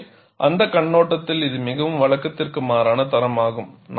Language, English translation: Tamil, So, it is a very unusual standard, from that point of view